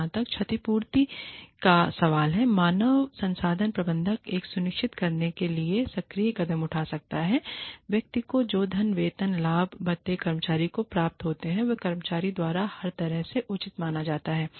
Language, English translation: Hindi, So, as far as compensation is concerned, the human resources manager, can take active steps to ensure that the, money, that the person receives, the salary, the benefits, the perks, that the employee receives, are considered to be fair, by the employee, in every way, possible